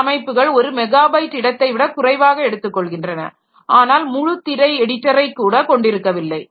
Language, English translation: Tamil, Some systems take up less than a megabyte of space and lack even a full screen editor